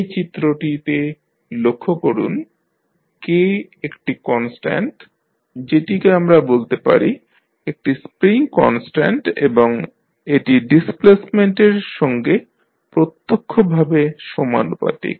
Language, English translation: Bengali, If you see in this figure, K is one constant which we generally call it a spring constant and then it is directly proportional to the displacement